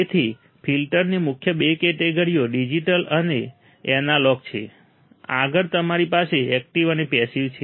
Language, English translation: Gujarati, So, main two categories of filter is digital and analog; further in you have active as well as passive